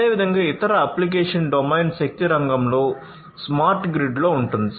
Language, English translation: Telugu, So, likewise other application domain would be in the energy sector, in the smart grid